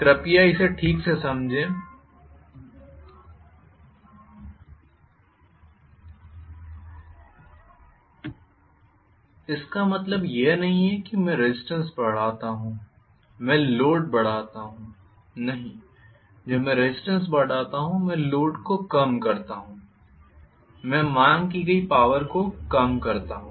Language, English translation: Hindi, Please understand this right, it does not mean that I increase resistance I increase the load, no, when I increase the resistance I decrease the load I decrease the power demanded